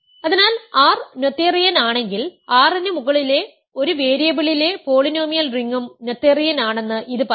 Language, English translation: Malayalam, So, this says that if R is noetherian then the polynomial ring in one variable in over R is also noetherian